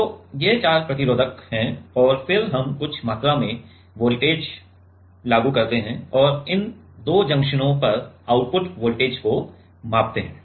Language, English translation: Hindi, So, these are the four resistors and then we apply some amount of voltage and measure the output voltage across these two junction